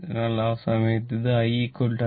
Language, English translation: Malayalam, So, this at that time I is equal to IL